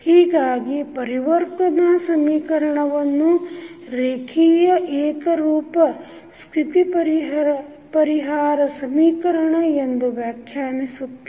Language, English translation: Kannada, So, the state transition equation is define as the solution of linear homogeneous state equation